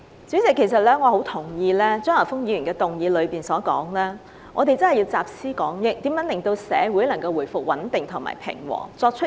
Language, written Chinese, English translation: Cantonese, 主席，我很同意張華峰議員提到要集思廣益，採取有效措施和作出相應回應，令社會回復穩定平和。, President I strongly agree with Mr Christopher CHEUNG that we should put our heads together in a bid to introduce effective measures and make corresponding response so that society can restore stability and peace